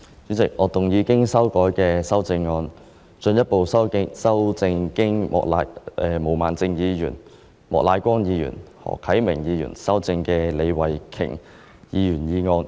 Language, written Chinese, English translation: Cantonese, 主席，我動議我經修改的修正案，進一步修正經毛孟靜議員、莫乃光議員及何啟明議員修正的李慧琼議員議案。, President I move that Ms Starry LEEs motion as amended by Ms Claudia MO Mr Charles Peter MOK and Mr HO Kai - ming be further amended by my revised amendment